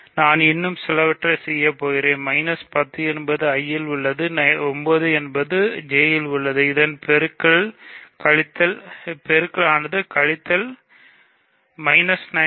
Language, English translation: Tamil, So, I will do one more thing minus 10 is in I, 9 is in J, so minus 90 is in, minus 90 is the product